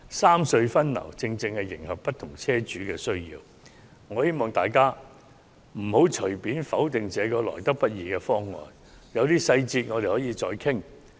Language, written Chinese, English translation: Cantonese, 三隧分流方案正可迎合不同車主的需要，我希望大家不要隨便否決這個得來不易的方案，有些細節我們可以再作討論。, The proposal for re - distribution of traffic among the three road harbour crossings will cater to the needs of different car owners . I hope Members will not vote against such a hard - earned agreement lightly as some details are open to further discussions